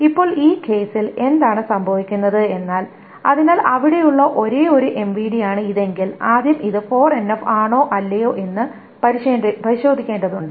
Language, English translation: Malayalam, Now what happens in this case is, so if this is the only MVD that is there, the first thing we need to test is whether this is 4NF or not